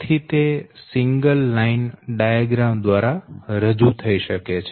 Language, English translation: Gujarati, so, and thats why it can be represented by your single line diagram